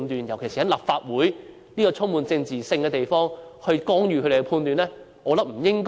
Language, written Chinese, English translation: Cantonese, 尤其是在立法會這個充滿政治性的地方，我們應否干預懲教人員的判斷？, In particular is it appropriate for a place as political as the Legislative Council to interfere in the judgment of CSD officers?